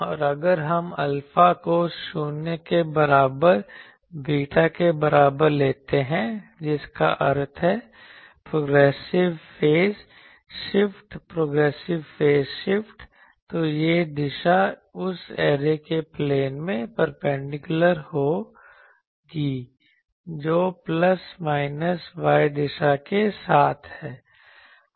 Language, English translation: Hindi, And if we take alpha is equal to 0 is equal to beta that means, the progressive phase shift, then this direction will be perpendicular to the plane of the array that is along plus minus y direction